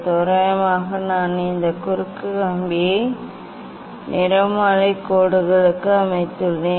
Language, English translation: Tamil, approximately I have set this cross wire to the spectral lines